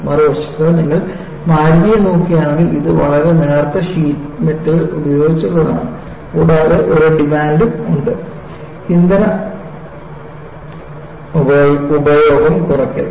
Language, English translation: Malayalam, On the other hand if you look at Maruti, it is of very thin sheet metal work and there is also a demand on fuel consumption deduction